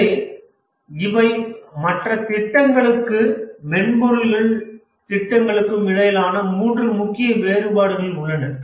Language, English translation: Tamil, So these are the three main differences between other projects and software projects